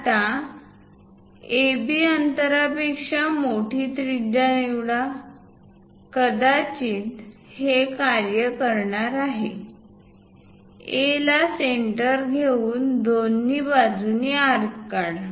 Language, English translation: Marathi, Now, pick a radius greater than AB distance; perhaps this one going to work, pick centre A, draw an arc on both sides